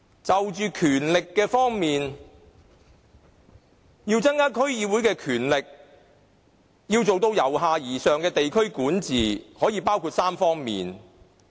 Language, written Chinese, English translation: Cantonese, 在權力方面，要增加區議會的權力，做到由下而上的地區管治，涉及3方面的事宜。, Regarding powers the enhancement of the powers of DCs to achieve district administration in a bottom - up approach involves three aspects